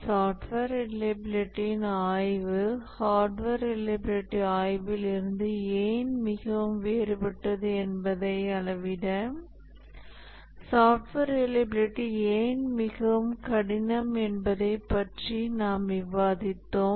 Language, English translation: Tamil, And then we are discussing about why software reliability is much difficult to measure why the software reliability study is very different from hardware reliability study and so on